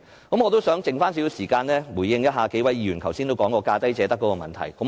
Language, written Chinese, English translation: Cantonese, 我想在餘下的時間，回應一下數位議員提出有關"價低者得"的問題。, In the remaining time I would like to give a brief response to the problem of lowest bid wins as pointed out by a few Members